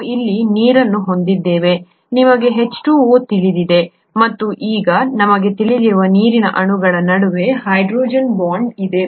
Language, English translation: Kannada, We have water here, you know H2O and there is hydrogen bonding between water molecules that we know now